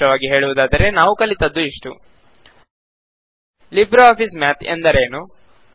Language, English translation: Kannada, To summarize, we learned the following topics: What is LibreOffice Math